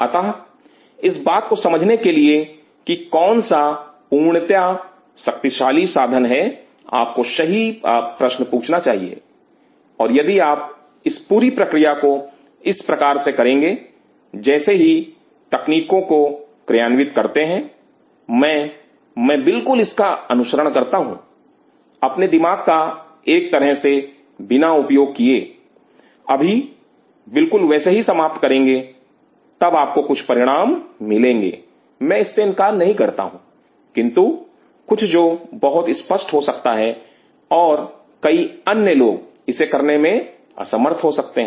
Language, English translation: Hindi, So, realizing that water profoundly powerful tool this could be provided you ask the right question, and if you do this whole process like just like a technique taking I just follow it without even putting my brain into place, you will end up with of course, you will get some results I am not denying that, but something which may be very ambiguous and many other people may not able to repeat it